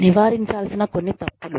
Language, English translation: Telugu, Some mistakes to avoid